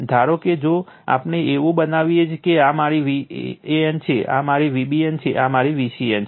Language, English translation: Gujarati, Suppose, if we make like this is my V a n, this is my V b n, this is my V c n